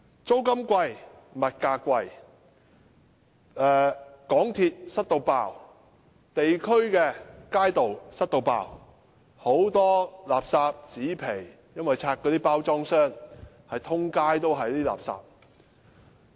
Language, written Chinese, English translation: Cantonese, 租金貴、物價貴、港鐵"塞爆"、地區街道"塞爆"，很多垃圾、紙皮，因為有些人在那裏拆包裝箱，滿街都是垃圾。, North District suffers from high rental and commodity prices congested MTR train compartments and streets as well as a lot of rubbish and cardboards littered on the streets